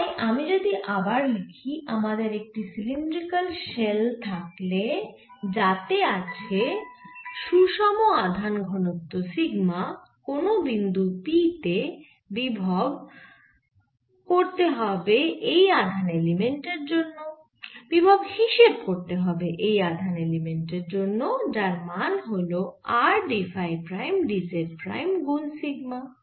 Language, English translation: Bengali, so again, if i write, if i, again, if you are given a cylinder shell having information density sigma, so potential at point p, and this is the charge element which is given by r, t, phi, prime, d, z, prime into sigma, so this is a charge element